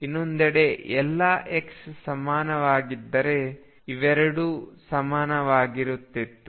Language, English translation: Kannada, On the other hand if all xs were the same then these 2 would have been equal